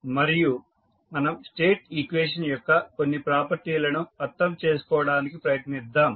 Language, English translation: Telugu, Today we will continue our discussion further and we will try to understand few properties of the State equation